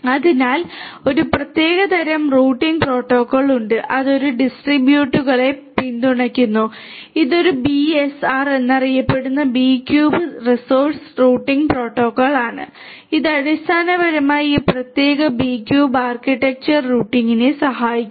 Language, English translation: Malayalam, So, there is a specific type of routing protocol that is that supports these B cubes which is known as the BSR the B cube source routing protocol which basically helps in routing in this particular B cube architecture